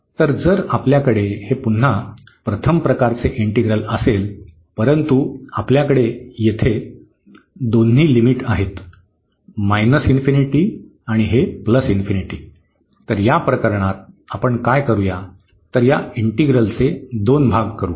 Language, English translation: Marathi, So, if we have this again the first kind integral, but we have the both the limits here minus infinity and this plus infinity so, in this case what we will do we will break this integral into two parts